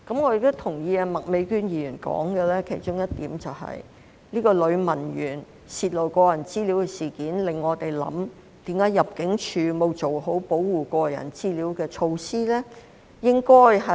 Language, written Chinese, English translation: Cantonese, 我亦同意麥美娟議員提到的其中一點，就是這名女文員泄露個人資料的事件，令我們思考為何入境處沒有做好保護個人資料的措施呢？, I also agree with one of the points mentioned by Ms Alice MAK namely that the incident of personal data leakage by this female clerk has led us to contemplate why ImmD had not taken proper measures to protect personal data